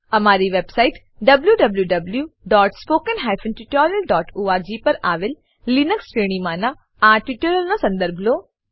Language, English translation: Gujarati, Please follow this tutorial in the Linux series on our website www.spoken tutorial.org